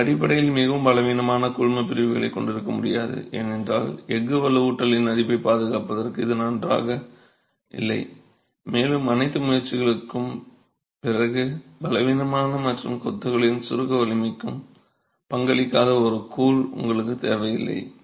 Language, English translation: Tamil, You basically can't have very weak grouts because it does not bode well for protection to corrosion of the steel reinforcement and after all the effort you don't want a grout that is weak and not contributing to the compressive strength of masonry